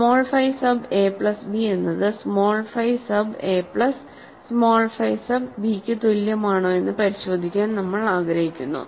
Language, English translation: Malayalam, So, we want to check that small phi sub a plus b is equal to small phi sub a plus small phi sub b